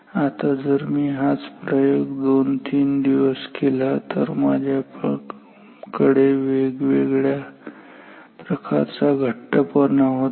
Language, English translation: Marathi, Now, even if I do this same experiment for 2 3 days when I have different amount of pieces and I mean tightness